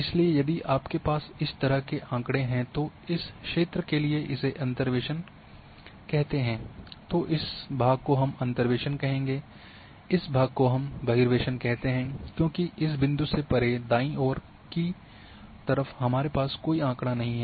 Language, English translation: Hindi, So, if your are having data say like this and do the interpolation for this area then this part we will call as interpolation, in this part we call as extrapolation because beyond this point these point on the right side we do not have any observations